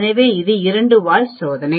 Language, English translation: Tamil, So, it is a two tail test